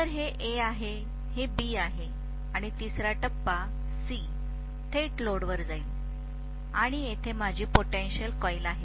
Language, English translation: Marathi, So this is A, this is B, and the third phase C is directly going to the load and here is my potential coil